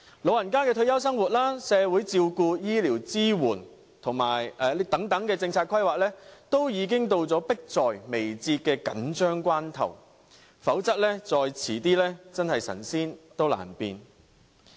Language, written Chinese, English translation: Cantonese, 老人家的退休生活、社會照顧、醫療支援等政策規劃，已經到了迫在眉睫的緊張關頭，否則再遲便神仙難變。, In this case we have to expeditiously formulate policies for pressing issues like retirement life of the elderly social care health care support and so on otherwise it will need a miracle to get things done after it is too late